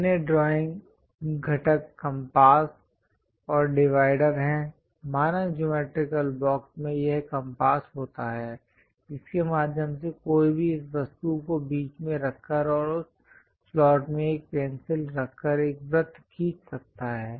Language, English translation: Hindi, The other drawing components are compasses and dividers; the standard geometrical box consist of this compass through which one can draw circle by keeping this object at the middle and keeping a pencil through that slot, one can draw a perfect circle or an arc